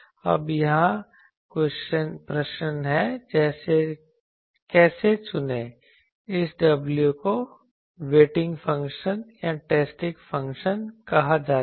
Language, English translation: Hindi, Now, here the question is; How to choose the this w is called waiting function or testing function